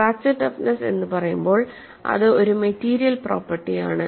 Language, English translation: Malayalam, So, when you say fracture toughness, it is a material property